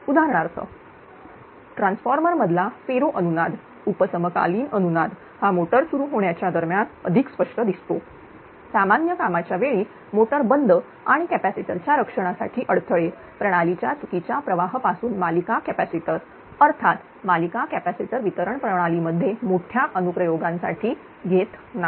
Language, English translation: Marathi, For examples ferroresonance in transformers, subsynchronous resonance is the more pronounced right during motor starting, shutting of motors during normal operation, and difficulty in protection of capacitors; series capacitor of course from system fault current; series capacitors do not have large application in distribution system